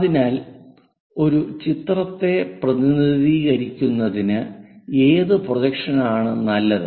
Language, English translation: Malayalam, So, which projection is good to represent a picture